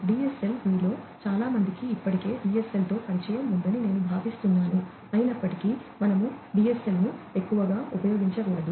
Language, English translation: Telugu, DSL I think many of you are already familiar with DSL, although we tend not to use DSL much anymore